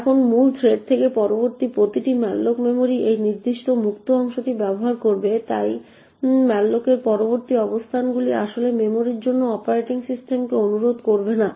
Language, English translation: Bengali, Now every subsequent malloc from the main thread would then utilise this particular free part of memory and therefore subsequent locations to malloc would not be actually requesting the operating system for the memory